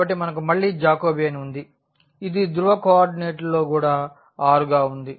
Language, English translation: Telugu, So, we have again the Jacobian which was also in polar coordinate as r